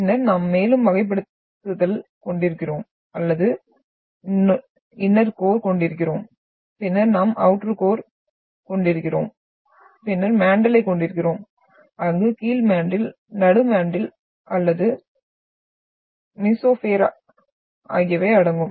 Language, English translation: Tamil, And then we are having further categorisations or we are having inner core, then we are having outer core and then we are having mantle where the mantle comprises of lower mantle, then middle mantle or mesosphere